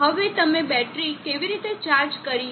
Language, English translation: Gujarati, Now how do we charge the battery